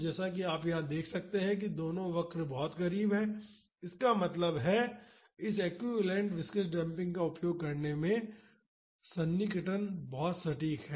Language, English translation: Hindi, So, as you can see here both the curves are very close; that means approximation in using this equivalent viscous damping is very accurate